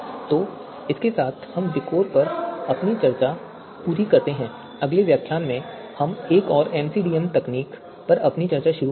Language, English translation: Hindi, So with this we complete our discuss on VIKOR and in the next lecture we will start our discussion on another MCDM technique